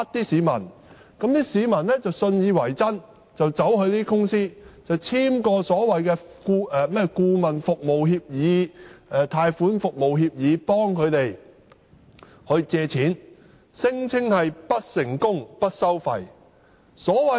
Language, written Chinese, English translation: Cantonese, 市民信以為真，便到這些公司簽署所謂的顧問服務協議、貸款服務協議，由這些公司協助他們借貸，聲稱不成功不收費。, People would believe that it is true and sign a so - called consultancy fee or loan services agreement to let these companies assist them in securing a loan . These companies claim that no fees will be charged till a loan is taken out successfully